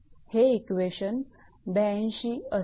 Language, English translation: Marathi, This is equation, what you call 82 right